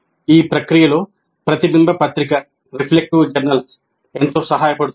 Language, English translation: Telugu, And a reflective journal helps in this process greatly